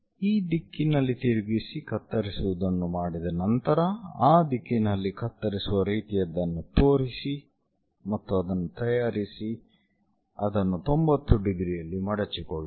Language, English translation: Kannada, After flipping making a scissors in this direction making a scissors in that direction folding it in the 90 degrees by 90 degrees